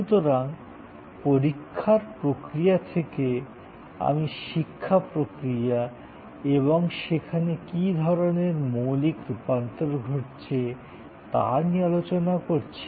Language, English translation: Bengali, So, right from the examination process, I am even not discussing the education process itself and what kind of radical transformation is taking place there